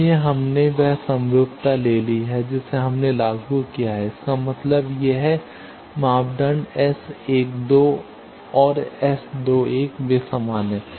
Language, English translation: Hindi, So, we have taken that symmetry we have enforced; that means, this parameter S 12 and S 21 they are same